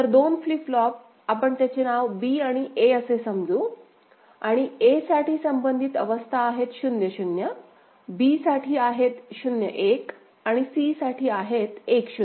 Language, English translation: Marathi, So, 2 flip flops, we name it B and A; capital B and capital A and corresponding states are 0 0 for a; for b, it is 0 1 and for c, it is 1 0